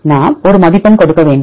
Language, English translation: Tamil, So, we need to give a score